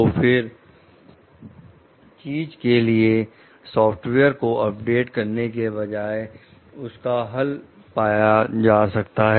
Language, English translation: Hindi, So, then instead of like updating a software for something solution can be found out